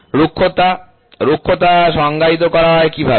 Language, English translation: Bengali, Roughness, how is roughness defined